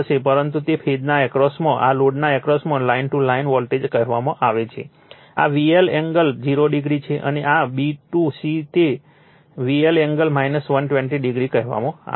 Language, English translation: Gujarati, But, across that the phase what you call line to line voltage across this load, this is V L angle 0 degree, and this is say b to c it is V L angle minus 120 degree